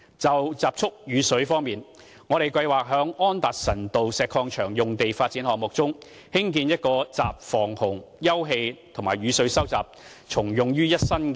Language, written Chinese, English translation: Cantonese, 就集蓄雨水方面，我們計劃在安達臣道石礦場用地發展項目中，興建一個集防洪、休憩和雨水收集重用於一身的人工湖。, As for rainwater harvesting we plan to build an artificial lake to prevent floods provide open space and collect rainwater for reuse in the development project at the Anderson Road Quarry site